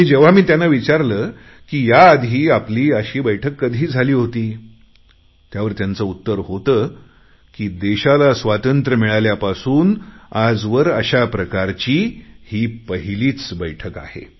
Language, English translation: Marathi, I asked them if they have ever had a meeting before, and they said that since Independence, this was the first time that they were attending a meeting like this